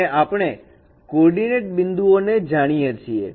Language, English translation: Gujarati, And we know the coordinate points